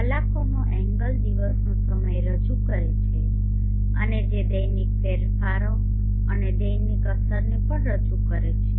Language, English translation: Gujarati, the hour angler presents the time of the day and which also represents the diurnal changes and diurnal effects